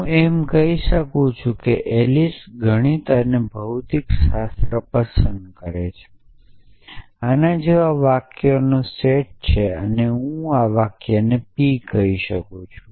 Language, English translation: Gujarati, So, I can say that a if have set of sentences like Alice likes a math and physics and I call this sentence p